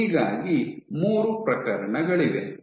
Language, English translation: Kannada, So, you have these 3 cases